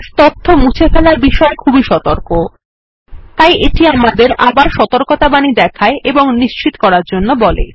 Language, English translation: Bengali, Base is cautious about deletes, so it asks for a confirmation by alerting us